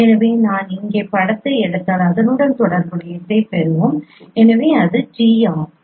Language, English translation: Tamil, So if I take the image here and you will get the corresponding